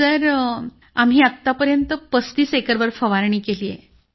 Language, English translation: Marathi, Sir, we have sprayed over 35 acres so far